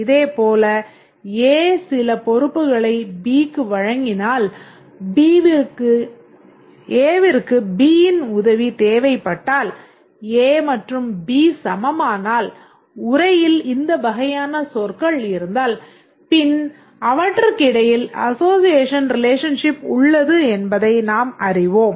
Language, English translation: Tamil, Similarly, if A delegates some responsibility to B, a needs help from B, A and B are peers, if the text contains these kind of terms, then we know that A and B are association classes